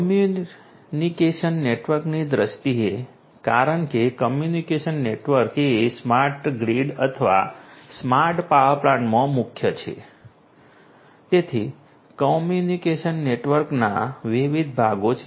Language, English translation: Gujarati, In terms of the communication network, because communication network is the core in a smart grid or a smart power plant so, the communication network has different different parts